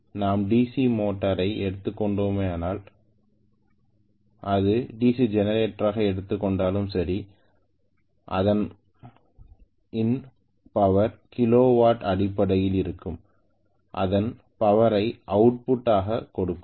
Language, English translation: Tamil, So whether we look at DC motor or whether we are looking at the DC generator always the power will be given in terms of kilo watt and the power that is given as output